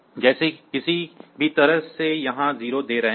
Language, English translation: Hindi, So, there is no issue; like you are any way giving a 0 here